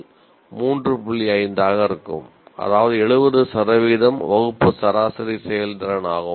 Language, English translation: Tamil, 5 out of 6, that is 70% is the class average performance